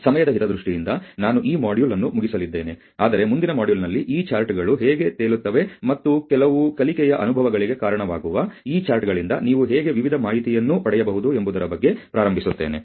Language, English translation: Kannada, So, I am going to close this module in the interest of time, but in the next module will starts as to how this charts was floated, and how you can a various information from this charts which leads to some learning experiences